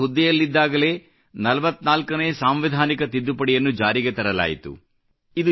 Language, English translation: Kannada, During his tenure, the 44th constitutional amendment was introduced